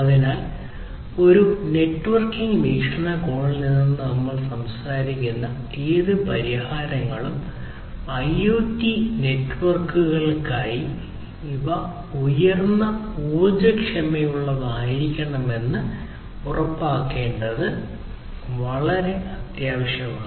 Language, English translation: Malayalam, So, it is very essential to ensure that whatever solutions we are talking about from a networking point of view or in fact, from any point of view, for IoT networks, IoT systems, these have to be highly power efficient